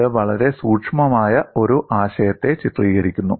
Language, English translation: Malayalam, It is illustrating a very subtle concept